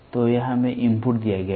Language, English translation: Hindi, So, this is given us inputs